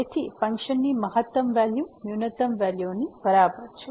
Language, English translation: Gujarati, So, the maximum value is equal to the minimum value